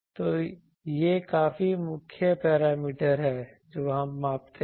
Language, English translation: Hindi, So, these are fairly the main parameters that we measure